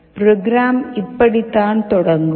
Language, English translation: Tamil, The program will start like this